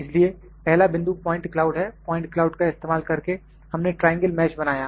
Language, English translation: Hindi, So, 1st point is the point cloud, using the point cloud, we created triangle mesh